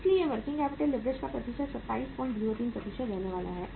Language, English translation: Hindi, So the percentage of the working capital leverage is going to be 27